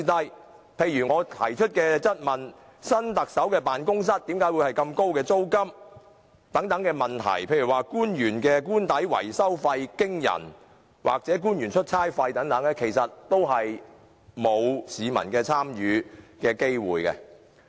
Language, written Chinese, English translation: Cantonese, 舉例而言，我在質詢中曾問及有關新特首辦公室租金高昂、官員的官邸維修費驚人及官員出差費用龐大等的事宜，其實市民從沒機會參與。, For instance I have raised questions about the exorbitant rental of the office of the new Chief Executive the extremely high cost of repairing the official residences of public officers and the huge cost of overseas duty visits conducted by government officials . In fact there has not been any chance for public participation